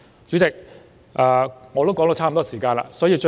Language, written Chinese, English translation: Cantonese, 主席，我的發言時間差不多到此。, President my speaking time is almost up